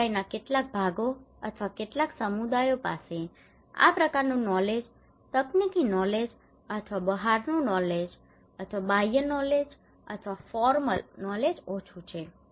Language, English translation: Gujarati, Some sections of the community or few communities they have less this kind of knowledge technical knowledge or outside knowledge or external knowledge or formal knowledge